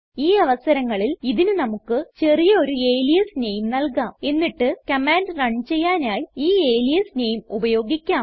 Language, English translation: Malayalam, In this case we can give it a short alias name and use the alias name instead ,to invoke it